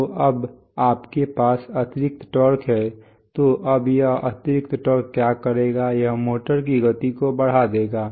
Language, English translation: Hindi, So now you have extra torque so now this extra torque will do what, it will increase the speed of the motor